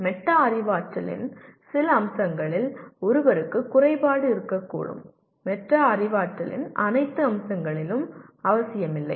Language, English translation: Tamil, One can be deficient in some aspect of metacognition, not necessarily in all aspects of metacognition